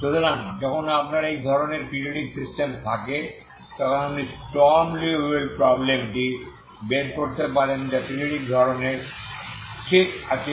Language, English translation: Bengali, So when you have this kind of periodic system you will get as a Sturm Liouville problem you can extract Sturm Liouville problem that is periodic type, okay